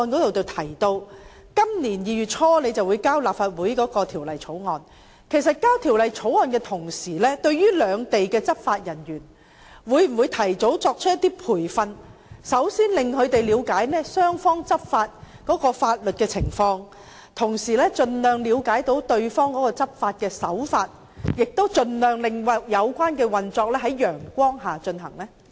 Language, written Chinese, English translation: Cantonese, 我想問，在提交條例草案的同時，當局會否提早為兩地執法人員進行培訓，令他們先行了解雙方在執法上的法律情況，以及對方的執法手法，盡量令有關運作能在陽光下進行呢？, I would like to ask While introducing a bill into the Legislative Council whether the authorities concerned will provide training to law enforcement officers of both sides in advance so that these officers can first understand the legal problems that may arise during law enforcement by both sides and the law enforcement practices of the other party thus ensuring as far as possible that everything will operate under broad daylight?